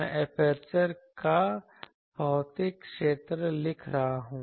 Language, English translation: Hindi, So, you see this is physical area of the aperture